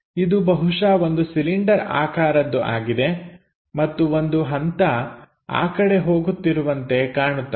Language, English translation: Kannada, So, it is supposed to be cylindrical thing and looks like there might be a step passing in that direction